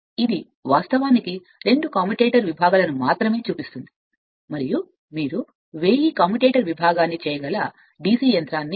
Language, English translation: Telugu, So, this is actually show only two commutator segments and DC machine you can 1000 commutator segment